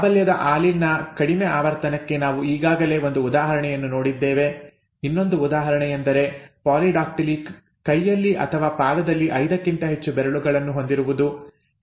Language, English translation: Kannada, Very low frequency of the dominant allele, we have already seen the example, one more example is polydactyly, more than 5 digits in hand or a foot, okay